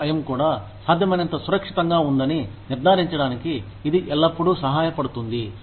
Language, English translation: Telugu, It is always helpful to ensure that, the workplace is also, as safe as, possible